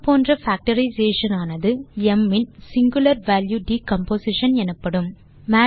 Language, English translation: Tamil, Such a factorization is called the singular value decomposition of M